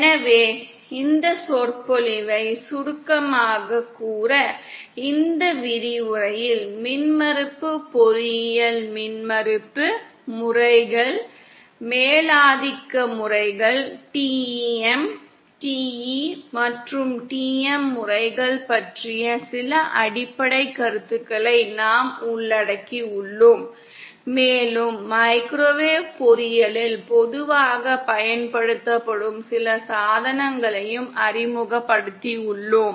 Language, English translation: Tamil, So just to summarise this lecture, in this lecture we have covered some basic concepts about microwave engineering like impedance, modes, dominant modes, TEM, TE and TM modes and also introduced some of the devices that are commonly used in Microwave engineering